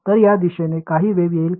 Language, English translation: Marathi, So, will there any be any wave in this direction